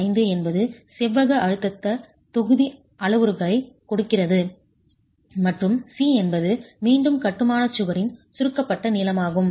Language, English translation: Tamil, 85 gives you the rectangular stress block parameters and C is again the compressed length of the wall in masonry